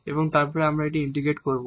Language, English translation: Bengali, So, now, we can integrate